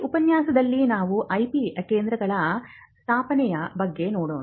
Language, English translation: Kannada, Now, in this lecture we will look at setting up IP centres